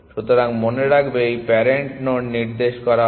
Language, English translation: Bengali, So, remember this are pointed to parent nodes